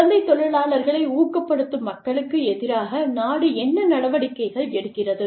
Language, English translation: Tamil, What measures, does the country take, against people, who engage child labor